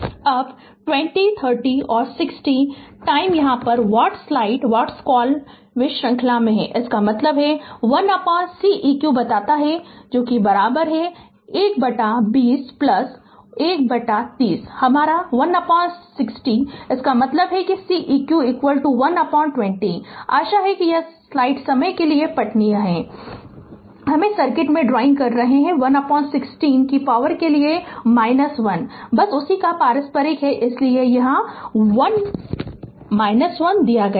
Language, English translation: Hindi, Now 20 30 and 60 you here what you call they are in series; that means, 1 upon Ceq say is equal to 1 upon 20 plus 1 upon 30 plus your 1 upon 60; that means, Ceq is equal to 1 upon 20 hope it is readable for you I am drawing on the circuit, 1 upon 60 to the power minus 1 just reciprocal of that that is why minus 1 is given right